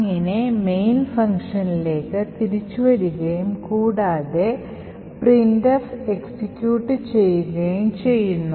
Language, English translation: Malayalam, Therefore, the return can come back to the main and printf done would get executed